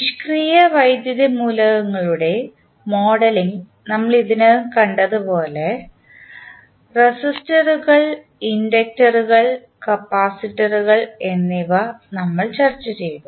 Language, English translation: Malayalam, So, as we have already seen that modeling of passive electrical elements we have discussed resistors, inductors and capacitors